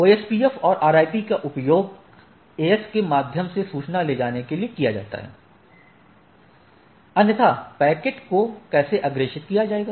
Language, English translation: Hindi, That is, OSPF and RIP are used to carry out information carry information through an AS right, so otherwise how the packet will be forwarded